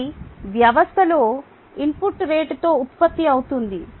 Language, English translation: Telugu, it could be input into the system at a rate of rn